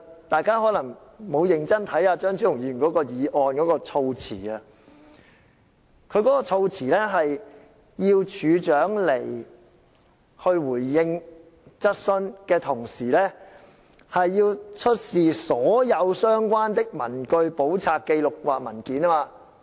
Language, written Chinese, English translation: Cantonese, 大家可能沒有認真細閱張超雄議員這項議案的措辭，當中要求署長在前來立法會回應質詢的同時，也要出示所有相關的文據、簿冊、紀錄或文件。, Perhaps Members have not carefully studied the wordings of the motion moved by Dr Fernando CHEUNG as he not only requests the Commissioner to attend before the Council to answer questions but also to produce the relevant papers books records or documents